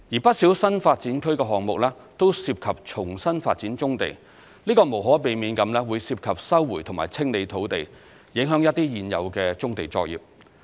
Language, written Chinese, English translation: Cantonese, 不少新發展區項目均涉及重新發展棕地，這無可避免會涉及收回及清理土地，影響一些現有的棕地作業。, As most of these new development area projects involve redevelopment of brownfield sites some existing operations thereon would inevitably be affected in the course of resumption and clearance of land